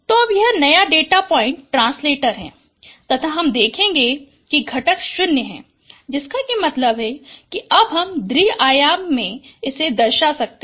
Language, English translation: Hindi, So now this is your new data point translated and you can see that one of the component is 0 which means now I can represent it in a two dimensional space